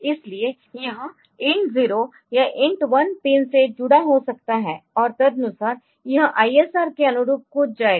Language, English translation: Hindi, So, it may connected to int 0 or int one pin, and accordingly it will be jumping over to to the corresponding ISR